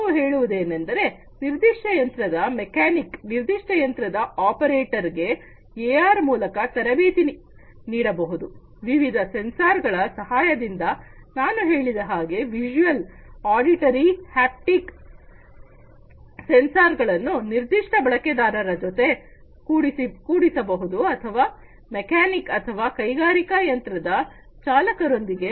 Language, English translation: Kannada, Different you know let us say a mechanic of a particular machine, an operator of a particular machine can be trained with AR, with the help of these different types of sensors, that I just mentioned visual, auditory, haptic sensors can be attached to that particular user or the mechanic or the operator of an industrial machine